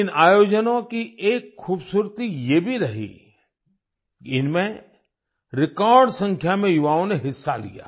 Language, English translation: Hindi, The beauty of these events has been that a record number of youth participated them